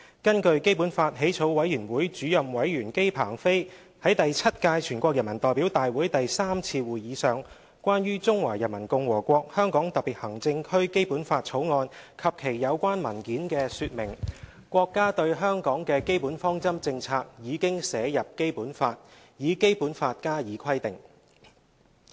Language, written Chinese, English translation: Cantonese, 根據基本法起草委員會主任委員姬鵬飛在第七屆全國人民代表大會第三次會議上關於《中華人民共和國香港特別行政區基本法》及其有關文件的說明，國家對香港的基本方針政策已經寫入《基本法》，以《基本法》加以規定。, According to the explanations on The Basic Law of the Hong Kong Special Administrative Region of the Peoples Republic of China Draft and its related documents by the Chairman of the Drafting Committee for the Basic Law Mr JI Pengfei at the Third Session of the Seventh NPC Chinas basic policies regarding Hong Kong have been incorporated into and stipulated within the Basic Law